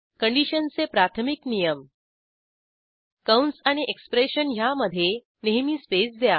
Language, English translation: Marathi, The Basic rules of condition are: Always keep spaces between the brackets and the expression